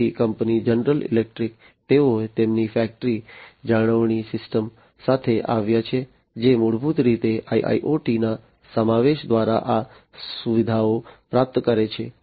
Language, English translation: Gujarati, So, the company general electric, they have come up with their factory maintenance system, which basically achieves these features through the incorporation of IIoT